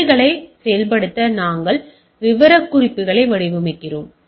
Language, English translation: Tamil, To implement policies, we design specification